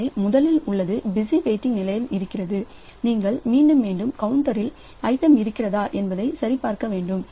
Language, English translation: Tamil, So, first one is a busy waiting when you are going again and again to the counter checking for the item